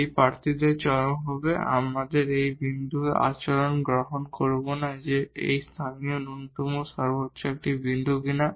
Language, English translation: Bengali, This will be the candidates for the extrema; we will not compute the behavior of this point whether it is a point of local minimum local maximum